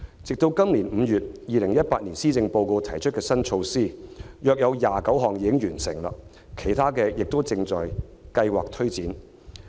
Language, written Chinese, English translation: Cantonese, 直至今年5月 ，2018 年施政報告提出的新措施中約有29項已經完成，其他的亦正在計劃推展。, As at May this year among the new measures presented in the 2018 Policy Address about 29 have been completed while the remaining ones are being planned for implementation